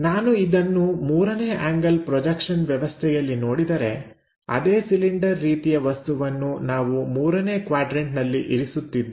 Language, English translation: Kannada, If we are looking at that in the 3rd angle projection systems, the same cylindrical object in the 3rd quadrant we are placing